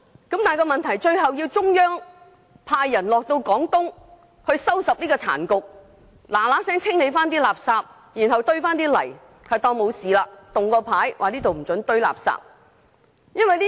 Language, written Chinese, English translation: Cantonese, 問題是到了最後，竟然要中央派人到廣東收拾殘局，立刻清理垃圾，然後堆上泥土，當作從來沒事發生，並豎立告示牌，禁止進行垃圾堆填。, In the end the Central Authorities may need to assign personnel to Guangdong to clean up the mess and clear all rubbish immediately . They may fill the sites with mud and earth again and then put up warning signs against rubbish dumping as if nothing has happened